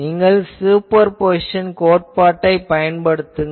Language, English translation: Tamil, So, then, you apply Superposition principle